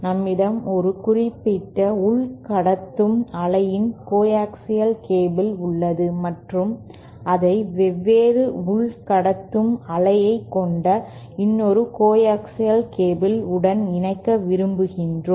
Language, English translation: Tamil, That is we have one coaxial cable of a particular inner conductive wave and we want to connect it to another coaxial cable of are different inner conductive wave